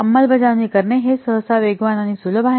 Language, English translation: Marathi, It is usually faster and easier to implement